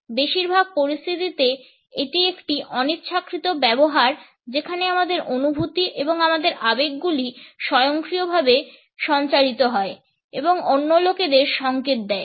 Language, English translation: Bengali, In most of the situations it is an unintention use where our feelings and our emotions are automatically transmitted and signal to other people